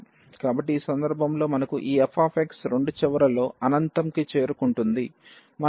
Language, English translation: Telugu, So, in this case when we have this f x is approaching to infinity at both the ends